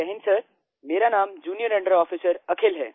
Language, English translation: Hindi, Jai Hind Sir, this is Junior under Officer Akhil